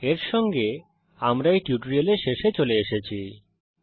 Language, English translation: Bengali, With this we come to an end of this tutorial